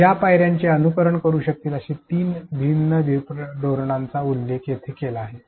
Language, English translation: Marathi, Three different strategies which can follow these steps have been mentioned here